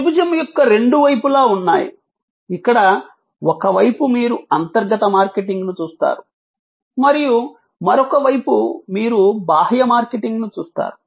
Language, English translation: Telugu, There are two sides of the triangle, where on one side you see internal marketing on the other side you see external marketing